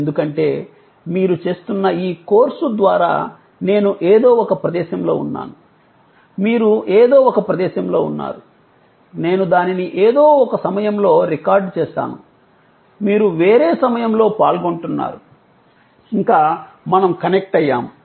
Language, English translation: Telugu, Because, you can realize that, through this very course that you are doing, I am at some place, you are at some place, I have recorded it in some point of time, you are participating it in some other point of time, yet we are connected